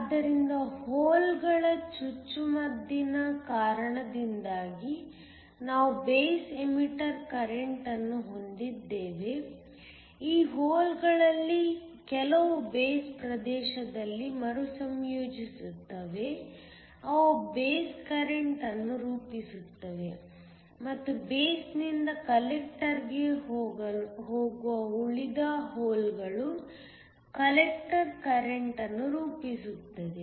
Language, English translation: Kannada, So, we have a base emitter current that is because of the injection of holes, some of these holes recombine in the base region they form the base current and the remaining holes that go from the base to the collector constitute the collector current